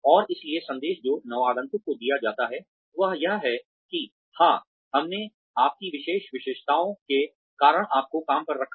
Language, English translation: Hindi, And so, the message, that is given to the newcomer is, that yes, we hired you, because of your special characteristics